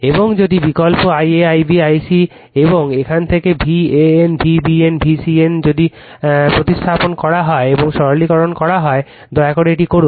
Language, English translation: Bengali, And if you substitute your i a, i b, i c and from here your v AN, v BN and v CN, if you substitute and simplify, please do this right